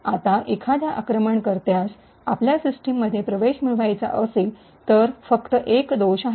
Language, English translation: Marathi, Now, if an attacker wants to get access to your system, all that is required is just a one single flaw